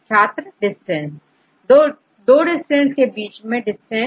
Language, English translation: Hindi, Distance Distance between the two sequences